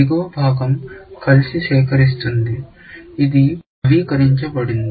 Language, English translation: Telugu, The bottom part collects together; this is updated